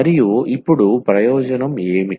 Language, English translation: Telugu, And, what is the advantage now